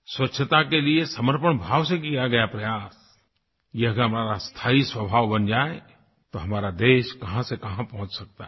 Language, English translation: Hindi, If this committed effort towards cleanliness become inherent to us, our country will certainly take our nation to greater heights